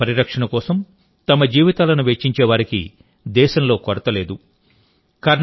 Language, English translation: Telugu, There is no dearth of people in the country who spend a lifetime in the protection of the environment